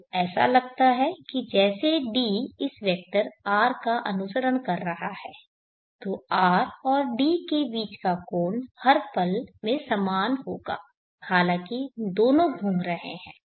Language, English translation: Hindi, T so it looks as though D is following this vector R synchronously then the angle between R and D will be same at every instant of time though both are rotating